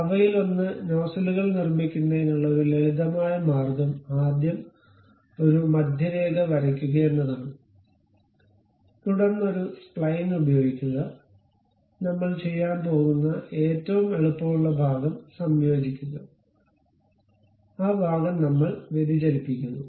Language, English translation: Malayalam, And one of the a simple way of constructing these nozzles is first draw a centre line, then use a spline, the easiest construction what we are going to do that portion is converging, and that portion we are having diverging